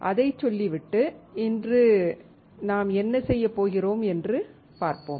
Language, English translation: Tamil, Having said that, let us see what we are going to do today